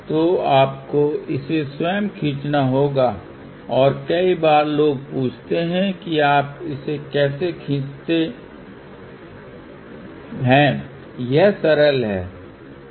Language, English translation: Hindi, So, you have to draw it yourself and many a times people ask how do you draw this, well it is simple